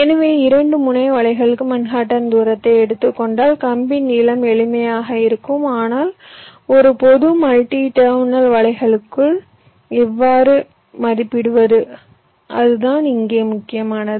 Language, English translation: Tamil, so if you take the manhattan distance, the wire length will be simple, this, but for a general multi terminal nets, how to estimate